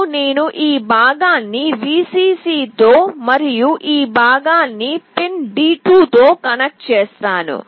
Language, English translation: Telugu, Now I will connect this part with Vcc and this one with pin D2